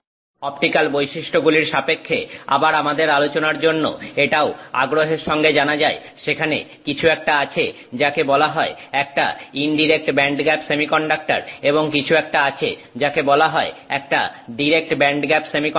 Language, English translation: Bengali, For our discussion, again with respect to the optical properties, it is also of interest to know that there is something called an indirect band gap semiconductor and there is something called a direct band gap semiconductor